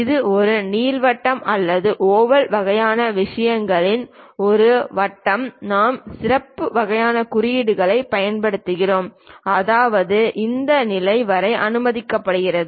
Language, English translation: Tamil, Perhaps a circle to slightly ellipse or oval kind of things we use special kind of symbols; that means, it is allowed up to that level